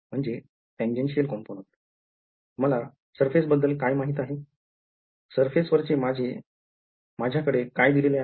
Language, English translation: Marathi, What do I know about the surface, what is been given to me in the surface